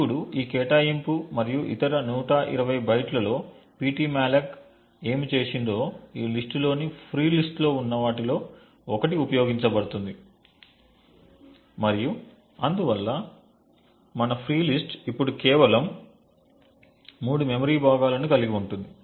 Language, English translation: Telugu, Now with this allocation and other 120 bytes what ptmalloc has done is used one of these chunks which are in the free list and therefore our free list now just comes down to having just three memory chunks present